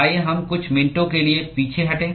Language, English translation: Hindi, Let us digress for a couple of minutes